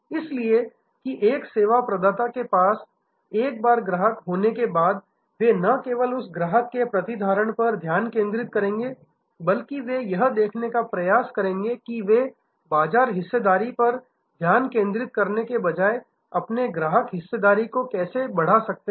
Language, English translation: Hindi, So, that a service provider once they have a customer, they will focus not only on retention of that customer, but they will try to see how they can increase their customer share rather than focusing on market share